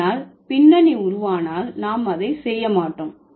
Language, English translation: Tamil, But in case of back formation, we don't do that